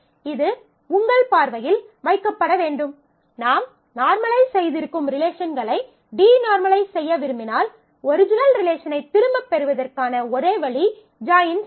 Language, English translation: Tamil, It should also be kept in your view, that at the times when you want to de normalize want to use denormalized relations, because if you have normalized and the only way to get back the original view is to perform join